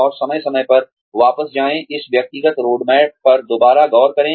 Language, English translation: Hindi, And, from time to time, go back, revisit this personal roadmap